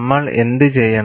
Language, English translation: Malayalam, What we will have to do